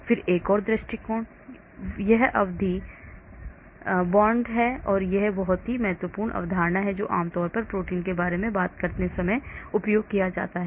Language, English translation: Hindi, Then another approach is this periodic box, this is a very important concept which is generally used when we talk about proteins